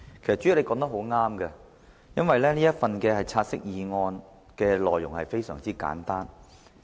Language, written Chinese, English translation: Cantonese, 代理主席，你說得對，"察悉議案"的內容非常簡單。, Deputy President you are right that the contents of the take - note motion are very simple